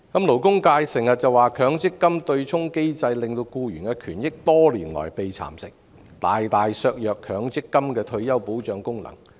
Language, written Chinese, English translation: Cantonese, 勞工界經常說強積金對沖機制令僱員權益多年來被蠶食，大大削弱強積金的退休保障功能。, The labour sector often says that the MPF offsetting mechanism has eroded employees rights and interests over the years significantly undermining MPFs function of providing retirement protection